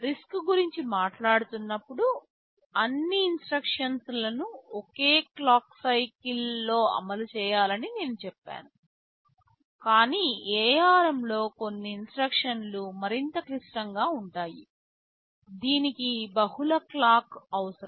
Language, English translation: Telugu, WSo, while talking of RISC, I said all instructions should be exhibited executed in a single clock cycle, but in ARM some of the instructions can be more complex, it can require multiple clocks such instructions are there